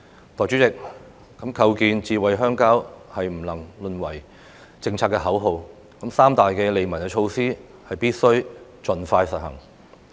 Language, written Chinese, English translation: Cantonese, 代理主席，構建"智慧鄉郊"是不能淪為政策的口號，三大利民的措施必須盡快實行。, Deputy President the construction of smart rural areas should not be just a policy slogan . The three major measures for benefiting the public should be implemented as soon as practicable